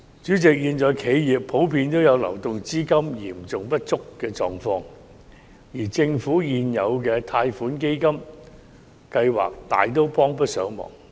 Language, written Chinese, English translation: Cantonese, 主席，現時企業普遍有流動資金嚴重不足的狀況，而政府現有的貸款基金計劃大都幫不上忙。, President at present a serious shortage of cash flow is common among enterprises to which existing loan fund schemes of the Government are not able to offer much help